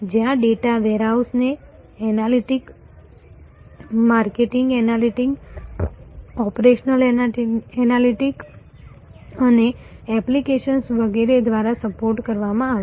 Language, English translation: Gujarati, Where the data warehouse will be supported by analytics marketing analytics operational analytics and applications and so on